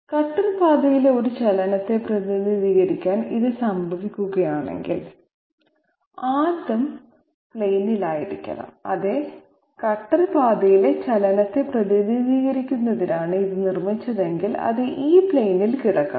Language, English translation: Malayalam, If this happens to represent a movement on the cutter path, then it 1st has to be on the plane that is accepted yes, if it is made to represent the movement on the cutter path then it has to lie on this plane